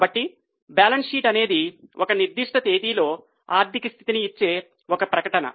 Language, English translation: Telugu, So, balance sheet is a statement which gives the financial position as at a particular date